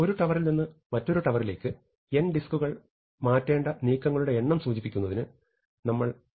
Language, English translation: Malayalam, So, supposing we write M of n to indicate the number of moves we need to transfer n disks from one peg to another peg